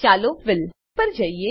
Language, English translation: Gujarati, Let us go to Fill